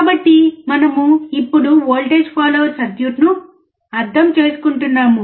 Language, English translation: Telugu, So, we are now understanding the voltage follower circuit